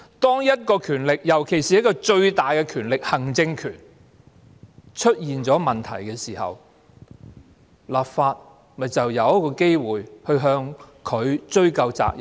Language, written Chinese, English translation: Cantonese, 當一種權力，尤其是最大的權力——行政權——出現問題時，立法會便有機會向它追究責任。, If there is a problem with one power especially with the biggest power―the executive power the Legislative Council will have a chance of holding it accountable